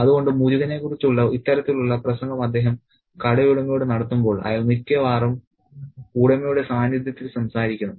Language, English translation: Malayalam, So, when he does this kind of speech about Morgon to the shop owner, he speaks almost on the behalf of the owner